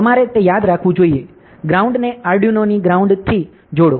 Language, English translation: Gujarati, So, it you should remember that, connect the ground to ground of the Arduino